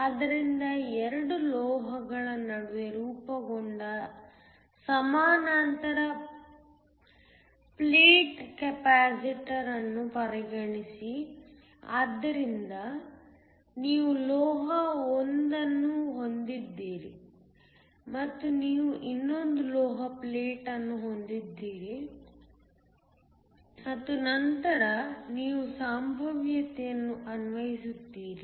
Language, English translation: Kannada, So, consider a parallel plate capacitor formed between 2 metals, so you have metal 1 and you have another metal plate and then you apply a potential